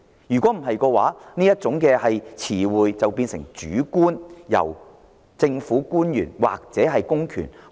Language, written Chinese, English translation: Cantonese, 否則，這個說法便會變得主觀，任由政府官員或公權解讀。, Otherwise the matter will become subjective and will be open to the interpretations of government officials or public powers